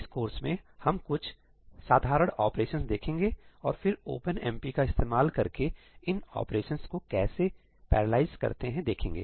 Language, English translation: Hindi, We will focus on some simple operations in this course and then we will see how we can parallelize these operations using OpenMP